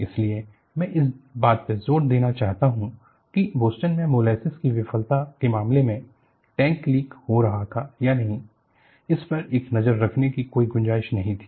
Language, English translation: Hindi, That is why, I want to emphasize, in the case of Boston molasses failure, there was no scope for having a look at whether the tank was leaking